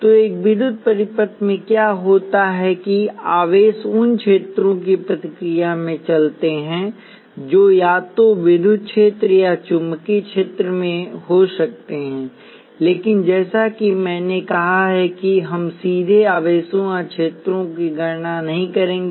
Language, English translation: Hindi, So, what happens in an electrical circuit is that charges move in response to fields which could be either an electric field or a magnetic field, but like I said we will not directly calculate charges or fields